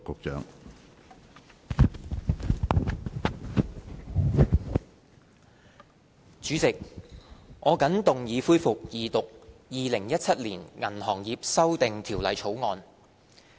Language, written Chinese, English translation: Cantonese, 主席，我謹動議恢復二讀《2017年銀行業條例草案》。, President I move the resumption of Second Reading debate on the Banking Amendment Bill 2017 the Bill